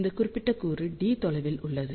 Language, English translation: Tamil, This particular element is at a distance of d